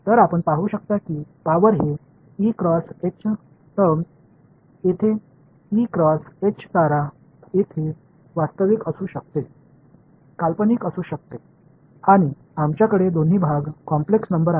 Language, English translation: Marathi, So, you can see that the power it this E cross H term over here E cross H star can be real can be imaginary right and we will have both parts the complex number